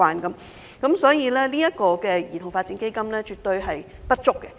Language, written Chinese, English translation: Cantonese, 由此可見，兒童發展基金絕對不足。, From this it can be seen that the Child Development Fund is definitely not adequate